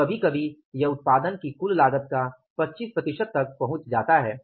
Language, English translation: Hindi, So, sometime it reaches up to 25% of the total cost of the production